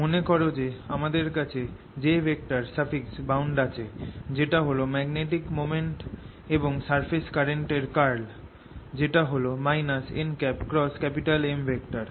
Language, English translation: Bengali, recall that we had j bound, which was curl of magnetic moment, and surface current, which was minus n cross m